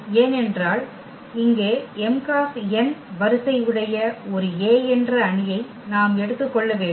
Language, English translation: Tamil, Because if we consider here that is A one matrix here of order this m cross n